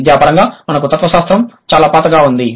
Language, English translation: Telugu, Academically we have very old disciplines like philosophy